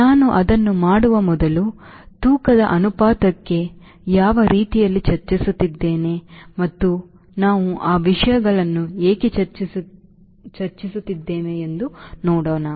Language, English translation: Kannada, before i do that, let us see what we were we discussing about thrust towards ratio and why we are discussing those things